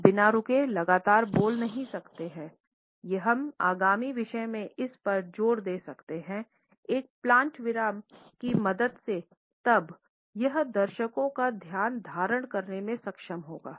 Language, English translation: Hindi, We can never continually speak without inserting a pause, we can emphasize the upcoming subject with the help of a plant pause then it would enable us to hold the attention of the audience